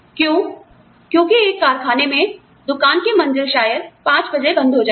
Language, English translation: Hindi, Why, because the shop floor would, in a factory, would probably close at 5 o'clock